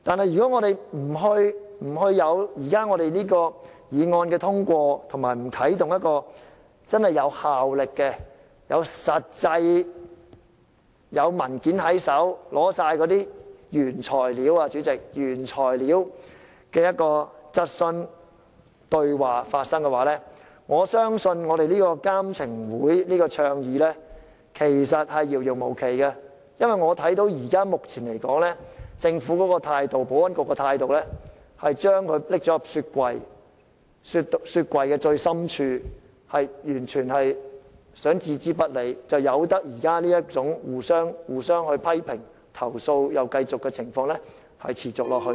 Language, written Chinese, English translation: Cantonese, 如果這項議案不獲通過，無法啟動一個真正有效的機制可以實實在在提供文件，讓質詢或對話在有原材料的情況下發生，我相信建議的"監懲會"將會成立無期，因為按照目前政府及保安局的態度來看，只會將這項建議放進雪櫃的最深處，然後置之不理，任由現時互相批評和不斷投訴的情況持續下去。, If the motion is not passed and we are unable to put in place a genuinely effective mechanism for the production of documents before the Legislative Council so that inquiries and exchanges can take place with the presence of first - hand materials I think the proposed ICSCC can never be established . This is because judging from the existing attitude of the Government and the Security Bureau the proposal would only be cast aside and ignored and hence criticisms and complaints will persist in the days to come